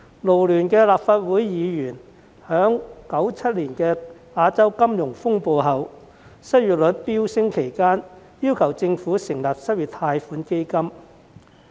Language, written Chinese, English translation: Cantonese, 勞聯的立法會議員曾在1997年亞洲金融風暴後失業率飆升期間，要求政府成立失業貸款基金。, Back in 1997 when unemployment rate soared after the Asian financial turmoil Members from FLU urged the Government to set up an unemployment loan fund